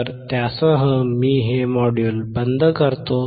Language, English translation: Marathi, So, with that, I wind up this module